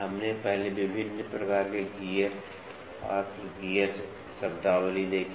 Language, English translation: Hindi, We first saw gear various types of gear then gear terminologies